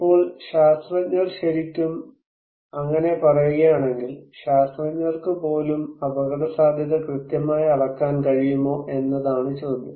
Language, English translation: Malayalam, So, now if the scientists are really saying that, the question is even the scientist can they really measure the risk accurately